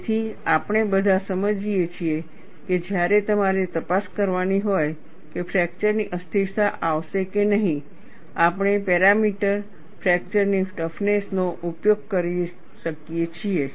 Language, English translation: Gujarati, So, we all understand, when you have to investigate whether fracture instability will occur or not, we can use the parameter, fracture toughness